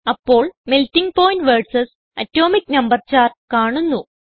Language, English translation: Malayalam, A chart of Melting point versus Atomic number is displayed